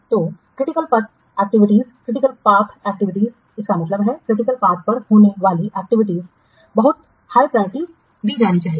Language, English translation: Hindi, So critical path activities, that means activities lying on the critical path must be given very high priority